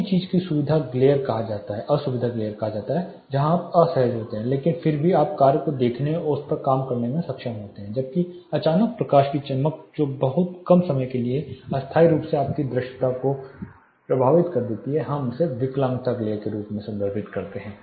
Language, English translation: Hindi, The first thing is called discomfort glare where you are uncomfortable, but still you are able to see the task and work on it where as a sudden flash of light which very temporarily for a very short duration affects your visibility we refer it as disability glare